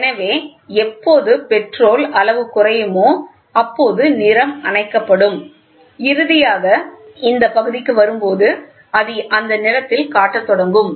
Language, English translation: Tamil, So, as and when the petrol level goes down, so you can see here also the color will be switched off and finally, when it comes to this portion it will start displaying it in that color